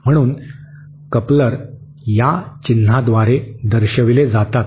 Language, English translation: Marathi, So, couplers are represented by this symbol